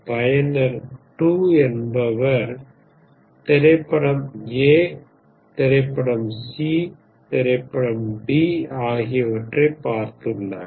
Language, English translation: Tamil, User 2 has seen movie A, movie C, movie D rated